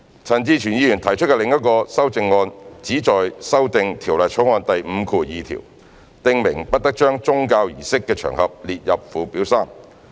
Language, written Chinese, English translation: Cantonese, 陳志全議員提出的另一項修正案旨在修訂《條例草案》第52條，訂明不得將宗教儀式的場合列入附表3。, The other amendment proposed by Mr CHAN Chi - chuen seeks to amend clause 52 stipulating that occasions of religious services must not be set out in Schedule 3